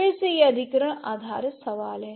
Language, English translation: Hindi, Again acquisition based question